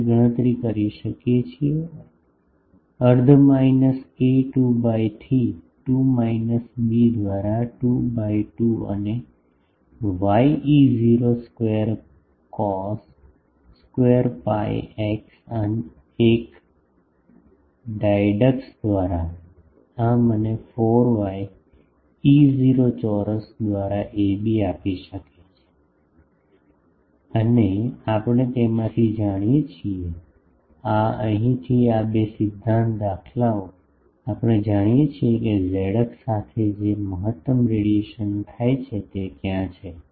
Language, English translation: Gujarati, So, Pr we can calculate half minus a by 2 to a by 2 minus b by 2 to b by 2 and w E not square cos square pi x by a dy dx, this will give me ab by 4 and we know from the this, these two principle patterns from here, we know where is the maximum radiation happening it is along z axis